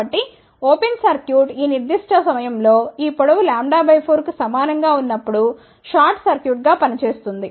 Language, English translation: Telugu, So, this open circuit will act as a short circuit at this particular point, when this length is equal to lambda by 4